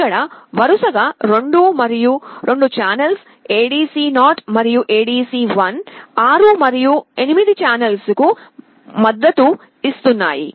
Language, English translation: Telugu, Here there are 2 such channels ADC 0 and ADC1 supporting 6 and 8 channels respectively